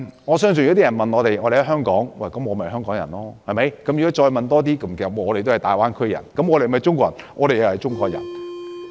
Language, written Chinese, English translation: Cantonese, 我相信如果有人問，我們在香港，我們便是香港人，如果再問深入一點，我們都是大灣區人，也是中國人。, I believe if we are asked who we are we will say we are Hong Kong people as we are in Hong Kong; but if we are asked further we are all people of the Greater Bay Area and also Chinese people